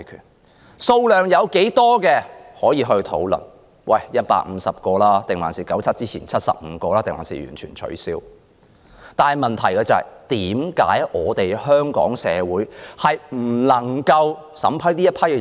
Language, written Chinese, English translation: Cantonese, 每天的單程證名額多少是可以討論的，例如應是150個、在1997年之前的75個，還是完全取消；但問題是，為何香港政府不能審批這些申請人？, The size of the daily quota can be discussed for example it can be 150 75 as before 1997 or total abolition . But the question is Why can the Government not vet and approve such applications?